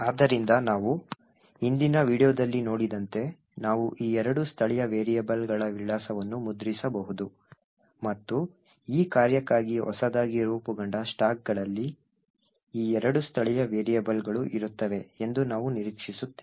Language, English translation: Kannada, So, as we have seen in the previous video we could print the address of this two local variables and as we would expect this two local variables would be present in the newly formed stacks in for this function